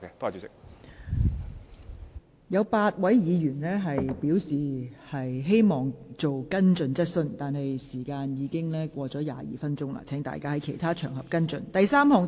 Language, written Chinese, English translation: Cantonese, 尚有8位議員在輪候提問，但由於本會就這項質詢已用了超過22分鐘，請有關議員在其他場合跟進。, Eight Members are waiting to ask questions but since this Council has already spent 22 minutes on this question will the Members concerned please follow it up on other occasions